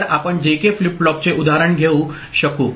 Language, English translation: Marathi, So, the JK flip flop example we can take